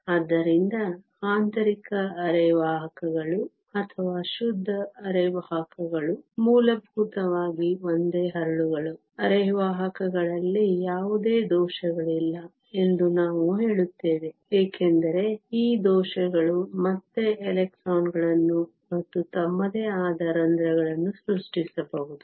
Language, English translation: Kannada, So, intrinsic semiconductors or pure semiconductors are essentially single crystals; we say that there are no defects in the semiconductor, because these defects can again create electrons and holes of their own